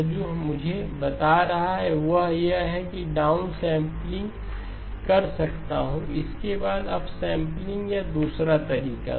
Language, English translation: Hindi, What this is telling me is I can do the down sampling followed by up sampling or the other way